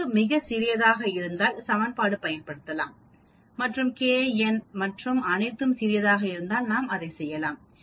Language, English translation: Tamil, One is using this equation if the data is very small we can use this and do it that means if the k, n and all is small we can